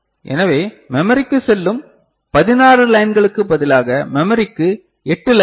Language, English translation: Tamil, So, 8 lines to the memory instead of 16 lines going to the memory ok